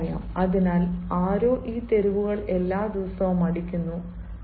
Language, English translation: Malayalam, the streets are swept everyday, so somebody is sweeping these street everyday